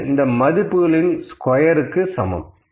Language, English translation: Tamil, Now, this value is equal to square of this value